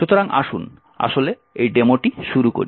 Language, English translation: Bengali, So, lets, actually start this demo